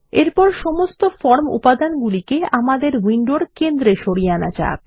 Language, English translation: Bengali, Next, let us move all the form elements to the centre of the window